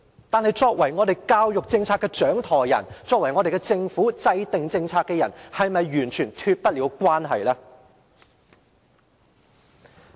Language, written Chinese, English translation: Cantonese, 但是，作為教育政策的掌舵人，作為政府的政策制訂者，是否完全脫得了關係？, Nevertheless can the helmsman of the education policy and the government policy - maker extricate himself from the situation?